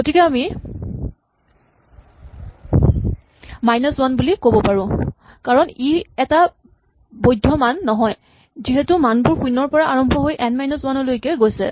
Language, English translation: Assamese, So, we could say minus one this is not a valid value because the values are 0 to N minus 1